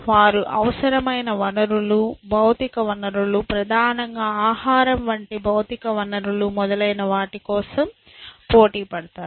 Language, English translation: Telugu, They compete for whatever resources that they need essentially, material resources, primarily material resources like food and so, on